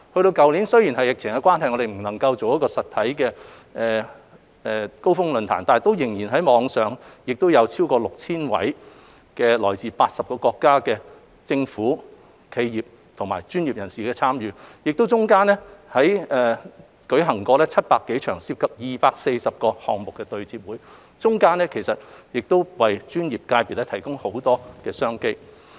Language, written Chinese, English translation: Cantonese, 去年因為疫情關係，我們不能舉辦實體的"高峰論壇"，但仍以網上形式舉辦，有超過 6,000 位來自80個國家的企業和專業人士參與，其間亦舉行了700多場、涉及超過240個項目的對接會，為專業界別提供很多商機。, Last year we were unable to hold a physical forum the Summit due to the pandemic but a virtual one was still held which was participated by more than 6 000 enterprises and professionals from 80 countries and places . More than 700 matching sessions involving over 240 one - to - one projects were held during the event offering plenty of business opportunities for professional sectors